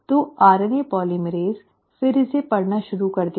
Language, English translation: Hindi, So the RNA polymerase will then start reading this